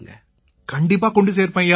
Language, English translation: Tamil, Will definitely convey Sir